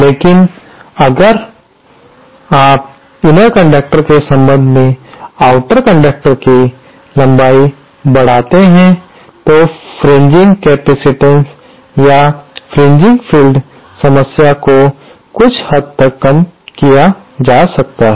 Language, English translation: Hindi, But if you increase the length of the outer conductor with respect to the inner conductor, then the fringing capacitance or the fringing field problem can be reduced to some extent